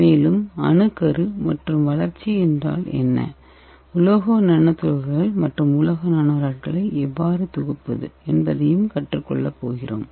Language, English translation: Tamil, And we are also going to learn what is nucleation and growth, and how to synthesis metal nanoparticles and metal nanorods